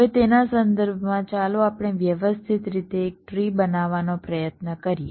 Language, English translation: Gujarati, now, with respect to that, let us try to systematically construct a tree